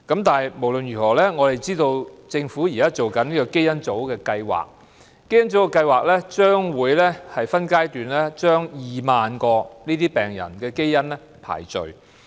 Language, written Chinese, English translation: Cantonese, 但無論如何，我們知道政府現時正進行香港基因組計劃，該計劃將會分階段把2萬名相關病人的基因排序。, Anyway we know that the Government is now taking forward the Hong Kong Genome Project which will conduct genetic sequencing in 20 000 relevant patients by phases